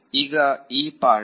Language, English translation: Kannada, now is the part